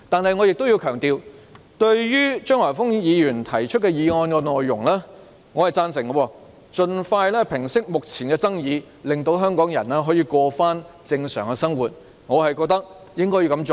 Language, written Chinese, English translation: Cantonese, 不過，我想強調，對於張華峰議員提出的議案內容，我是贊成的，即要盡快平息目前的爭議，令香港人可以回復正常生活，我認為是應該這樣做的。, Having said that I wish to emphasize that I support the content of Mr Christopher CHEUNGs motion which proposes that the current controversy be resolved as soon as possible to enable the life of Hongkongers to resume normal